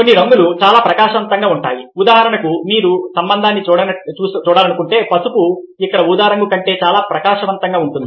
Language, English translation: Telugu, for instance, if you want to see the relationship, yellow is much brighter than purple over here